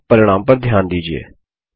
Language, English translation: Hindi, And notice the results now